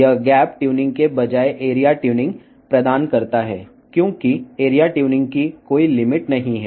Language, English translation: Telugu, It provides the area tuning instead of gap tuning, because there is no limit on the area tuning